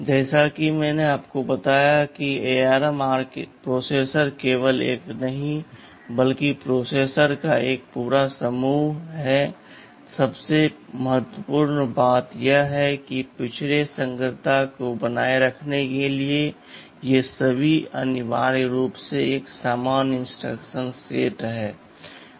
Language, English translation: Hindi, AsNow as I told you this ARM processor is not just one, but a whole family of ARM processors exist and the most important thing is that in order to maintain backward compatibility, which is very important in this kind of evolution all of thisthese share essentially a common instruction set